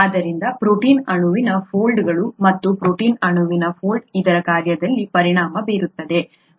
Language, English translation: Kannada, Therefore the protein molecule folds and the folding of the protein molecule is what results in its function